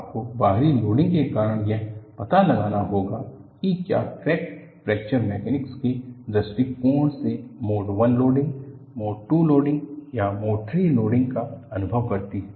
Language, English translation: Hindi, You have to find out because of the external loading, whether the crack experiences a Mode I loading, Mode II loading or Mode III loading from Fracture Mechanics point of view